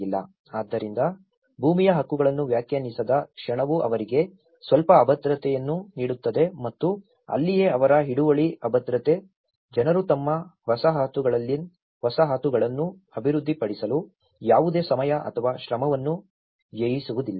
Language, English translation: Kannada, So, the moment land titles are not defined that gives a little insecurity for them and that is where their insecurity of tenure, people spend no time or effort in developing their settlement